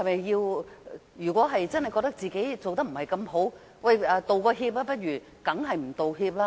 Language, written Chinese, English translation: Cantonese, 如果真的覺得自己做得不好，是否應該道歉？, If the media do think that they are not doing a good job should they apologize?